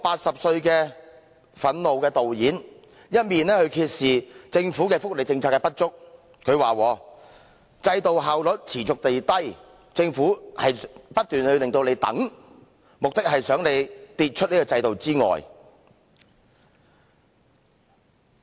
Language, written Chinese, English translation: Cantonese, 這位憤怒的80歲導演揭示了政府福利政策的不足，他說"制度效率持續低下，政府不斷叫人等待，目的是想人跌出這個制度之外"。, This outraged film director at the age of 80 has revealed in his film the inadequacies of public welfare policies . According to LOACH under the persistently ineffective benefit system the Government keeps asking people to wait with the aim of getting these people out of the benefit system